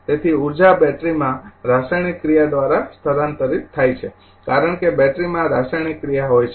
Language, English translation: Gujarati, Therefore, the energy is transfer by the chemical action in the battery because battery has a chemical action